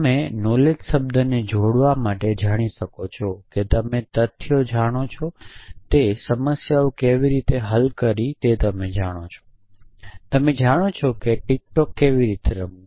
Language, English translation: Gujarati, So, essentially you can associate the word knowledge bit to know that you know you know facts you know how to solve problems; you know how to play tic tac to you know how to ride a bicycle